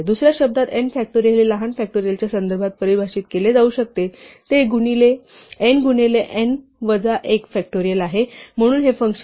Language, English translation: Marathi, In other words n factorial can be defined in terms of a smaller factorial it is n times n minus 1 factorial, so that is what this function is exploiting